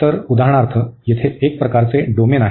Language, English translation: Marathi, So, here for example have a domain is of this kind